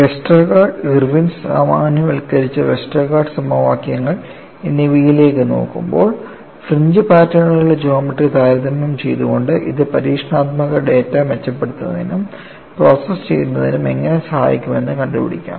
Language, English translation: Malayalam, Now, we would look at, by comparing the geometry of the fringe patterns, when we go from Westergaard, Irwin and generalized Westergaard equations, what way it aids in improving, processing experimental data